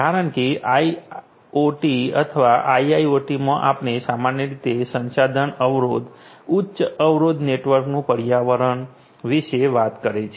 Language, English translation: Gujarati, Because in IoT or IIoT we are typically talking about this resource constraint, highly constraint you know network environment and so on